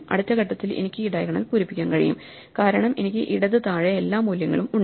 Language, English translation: Malayalam, In the next step, I can fill up this diagonal, because I have all the values to left below